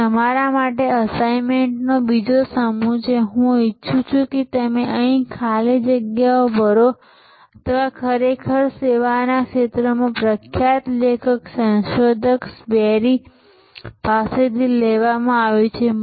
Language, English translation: Gujarati, So, another set of assignment for you this is I want you to fill up the gaps here this is actually taken from another famous author and researcher in the service field, berry